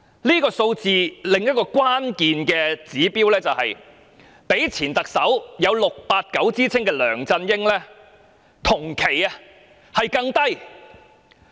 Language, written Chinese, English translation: Cantonese, 這數字的另一關鍵指標是比起有 "689" 之稱的前特首梁振英，她的同期分數更低。, Another critical observation made from the findings is that when compared with the popularity of former Chief Executive LEUNG Chun - ying nicknamed 689 during the same period after assumption of office her rating is even lower